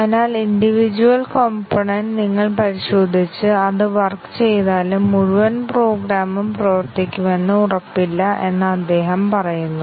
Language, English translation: Malayalam, So, he says that if you just test the individual component that does not really guarantee that the entire program will be working